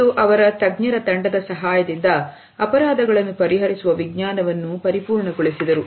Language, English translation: Kannada, And with his handpicked team of experts they perfected the science of solving crimes